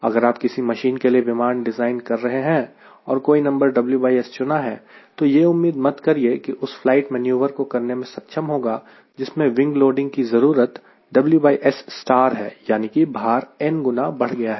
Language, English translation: Hindi, that means, if you want to, if designing an airplane for a mission and you have chosen w by s some number, you should not expect that number is good enough to do a flight where the wing loading required is w by s star, which is nothing but n w by s, so as if the weight has increased by n times